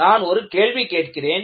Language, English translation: Tamil, Let me, ask the question